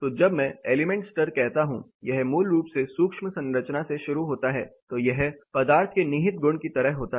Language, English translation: Hindi, So, when I say element level it starts from basically the micro structure it does like a inherent property of the material